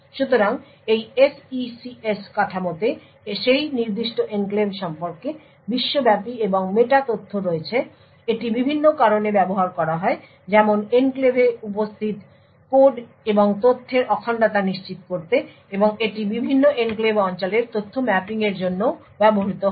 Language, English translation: Bengali, So this SECS structure contains global and meta data about that particular enclave, it is used by various reasons to such as to ensure the integrity of the code and data present in the enclave and it is also used for mapping information to the various enclave regions